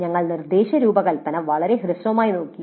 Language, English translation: Malayalam, So we looked at the instruction design very briefly